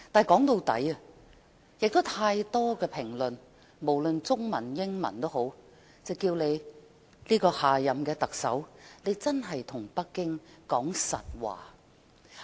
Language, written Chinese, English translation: Cantonese, 說到底，很多中文及英文評論皆表示希望下任特首可以對北京說實話。, Many commentaries in Chinese and English have expressed one hope the hope that the next Chief Executive can tell Beijing the truth